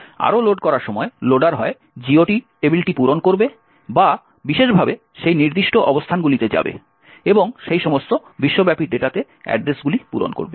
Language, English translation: Bengali, Further at the time of loading, the loader would either fill the GOT table or go specifically to those particular locations and fill addresses in those global data